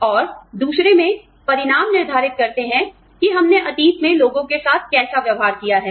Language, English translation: Hindi, And, in the other, the results determine, how we have treated people, in the past